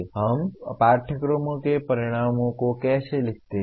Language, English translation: Hindi, Now how do we write the outcomes of courses